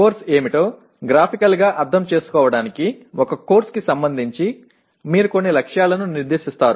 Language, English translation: Telugu, To graphically understand what the course is, a course has you set some targets